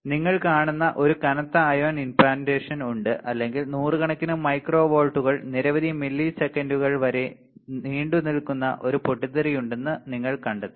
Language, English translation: Malayalam, And there is a heavy ion implantation you will see or you will find there is a burst noise as high as several hundred micro volts lasts for several milliseconds